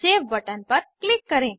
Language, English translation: Hindi, Click on Open button